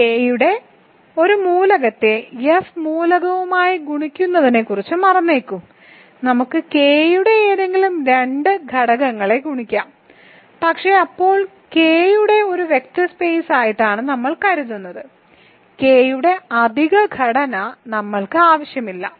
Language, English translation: Malayalam, Forget about multiplying an element of K with an element of F we can actually multiply any two elements of K, but when we think of K as a vector space we do not need that additional structure of K